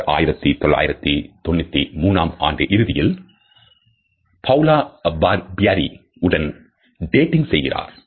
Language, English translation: Tamil, At the end of the year of 1993 he was dating Paula Barbieri